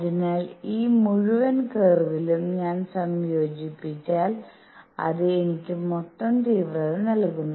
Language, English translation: Malayalam, So, if I integrate over this entire curve it gives me the total intensity